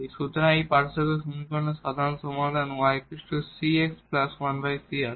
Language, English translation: Bengali, So, this comes to be the general solution of this differential equation y is equal to cx plus 1 over c